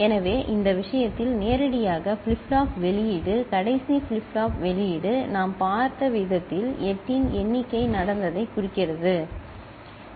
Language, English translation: Tamil, So, in this case the flip flop output directly, the last flip flop output the way we have seen it, itself indicates the count of 8 has taken place, right